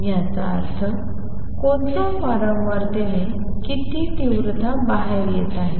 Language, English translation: Marathi, That means, what intensity is coming out at what frequency